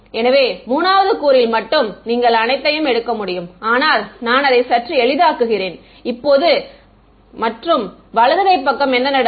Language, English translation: Tamil, So, only 3rd component you can take all, but I am just simplifying it right now and what happens to the right hand side